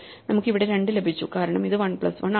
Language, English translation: Malayalam, So, we got 2 here is because it is 1 plus 1